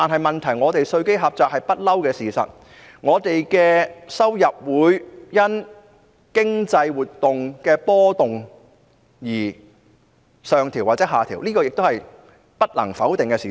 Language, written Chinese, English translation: Cantonese, 問題是香港的稅基一向狹窄，政府收入亦會因經濟活動的波動而上調或下調，這也是不能否定的事實。, The problem lies in that the tax base of Hong Kong is too narrow and government revenue may go up and down as a result of economic fluctuations which is also an undeniable fact